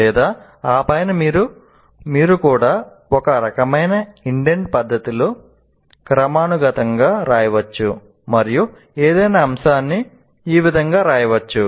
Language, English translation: Telugu, Or on top of that, you can also write in a kind of indented fashion hierarchically any topic can be elaborated like this